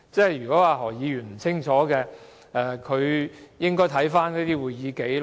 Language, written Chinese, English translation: Cantonese, 如果何議員不清楚，他便應該查看會議紀錄。, If Dr HO is not clear about all this he should check the minutes